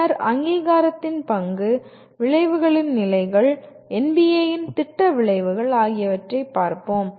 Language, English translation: Tamil, Then we look at role of accreditation, levels of outcomes, program outcomes of NBA